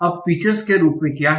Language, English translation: Hindi, Now what are the form of features